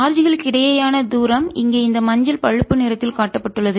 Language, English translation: Tamil, the distance between the charges is shown in this yellow brown